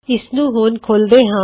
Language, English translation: Punjabi, Lets open this up